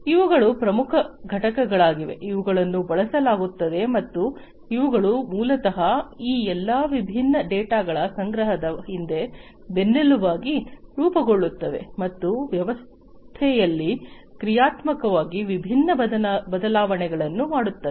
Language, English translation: Kannada, These are the core components, which are used and these are the ones, which basically form the backbone behind the collection of all these different data and making different changes dynamically to the system